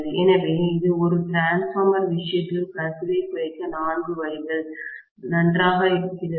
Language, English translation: Tamil, So, these are four ways of reducing you know the leakage in the case of a transformer, fine